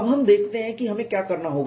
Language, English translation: Hindi, Now, let us see what we have to do